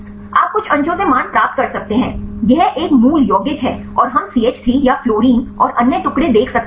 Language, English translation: Hindi, You can get the values from the some of the fragments; this a parent compound and we can see the other fragments the CH3 or the fluorine and all